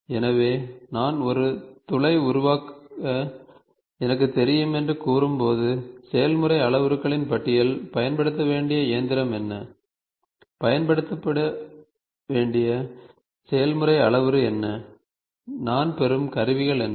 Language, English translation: Tamil, So, I, when I say I know to create a hole, I know the list of process parameters, I know what is the machine to use, what is the process parameter to use, what are the toolings to be use such that I get the output